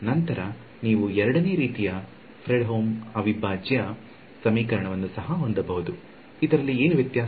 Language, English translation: Kannada, Then you also have a Fredholm integral equation of the 2nd kind, what is the difference